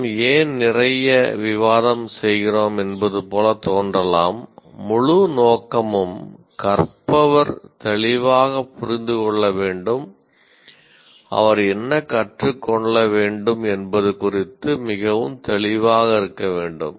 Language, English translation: Tamil, But as I said, it should be clear to the student, the whole purpose is learner should clearly understand, should be very clear about what is it that he should learn